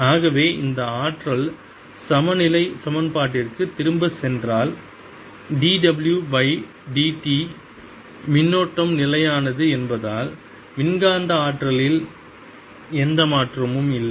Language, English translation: Tamil, so if we, if i go back to that energy balance equation d w by d t, since the current is steady, there's no change in the electromagnetic energy